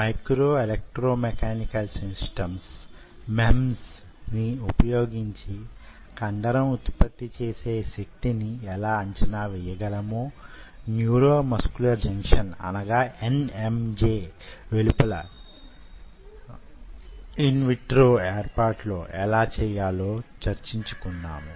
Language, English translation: Telugu, we talked about how to evaluate ah the force generated by the muscle, using micro electromechanical systems, how to make a neuromuscular junction outside in a, in an in vitro setup